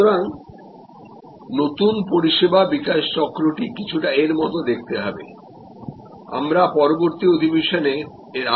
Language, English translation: Bengali, So, the new service development cycle will look somewhat like this we will get in to much more detail explanation of this in the next session